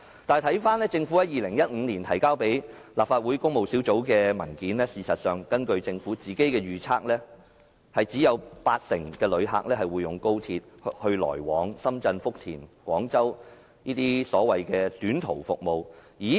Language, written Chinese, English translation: Cantonese, 但是，政府在2015年提交立法會工務小組委員會的文件指出，根據政府的預測，有八成旅客會使用高鐵來往深圳福田或廣州等短途服務。, However in the paper submitted to the Public Works Subcommittee in 2015 the Government forecast that 80 % of the travellers will use XRL for short - haul services to destinations such as Shenzhen Futian and Guangzhou